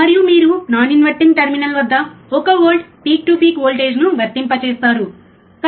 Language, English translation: Telugu, And you have applied voltage at the non inverting terminal one volt peak to peak